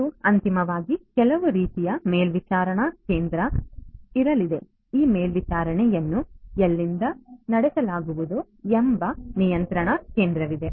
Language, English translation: Kannada, And finally, there is going to be some kind of a monitoring station a control station from where this monitoring is going to be performed